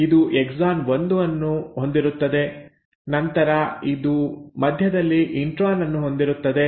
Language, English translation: Kannada, It will have the exon 1 and then it will have the intron in between